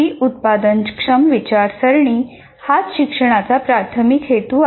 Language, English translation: Marathi, Productive thinking that is the main purpose of education